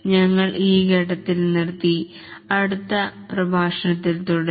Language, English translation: Malayalam, We will stop at this point and continue in the next lecture